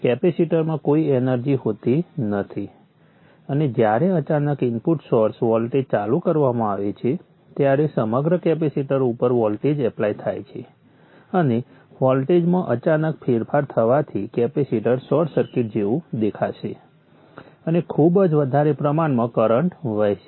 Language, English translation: Gujarati, And when suddenly the input source voltage switches on, the voltage is applied across the capacitor and for sudden changes in the voltage the capacity will appear as a short circuit and a very huge current will flow